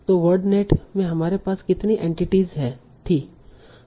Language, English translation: Hindi, So in word net how many entities we had